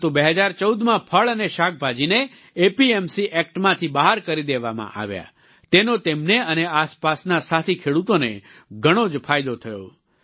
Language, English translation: Gujarati, But, in 2014, fruits and vegetables were excluded from the APMC Act, which, greatly benefited him and fellow farmers in the neighborhood